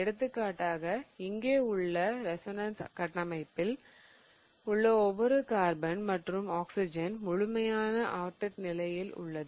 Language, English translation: Tamil, So, for example in the first resonance structure here, so every atom that is each of the carbons and the oxygen have a complete octate